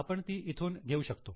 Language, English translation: Marathi, We can get it from this